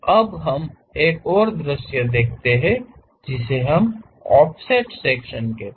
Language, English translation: Hindi, Now, let us look at another view which we call offset sections